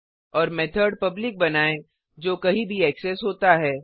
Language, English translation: Hindi, Also make the method public, that is accessible everywhere